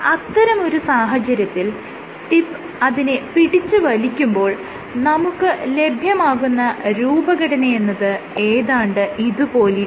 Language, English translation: Malayalam, In that case, when the tip is pulling it up your configuration will look something like this